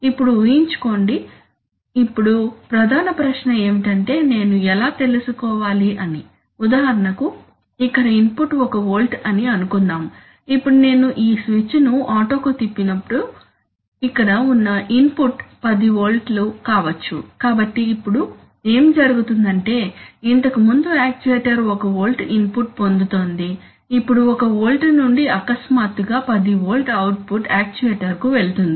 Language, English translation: Telugu, Now imagine, now the main question is that when I am transferring how do I know, for example suppose here the input was let us say 1 volt now how do I know that when I flick this switch to auto, I shall, I shall also here the input existing may be 10 volt, so now what will happen that, previously the actuator was in, was in 1volt was getting an input of 1 volt now from 1 volt suddenly a 10 volt output will suddenly a 10 volt will go to the actuator